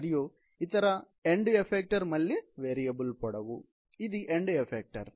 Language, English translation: Telugu, And the other end effecter is again, a variable length; this is the end effector